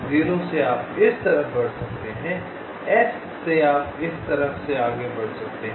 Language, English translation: Hindi, you can move this side from s you can move to the left